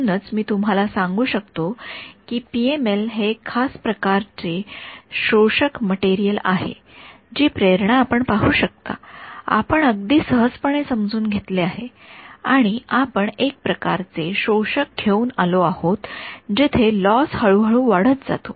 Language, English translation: Marathi, So, you can if I tell you that the PML is a special kind of absorbing material you can see the motivation, we have already come across just by simple common sense we have come up with one kind of absorber in which where the loss increases gradually right